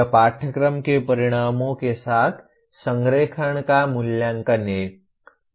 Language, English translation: Hindi, That is assessment in alignment with the course outcomes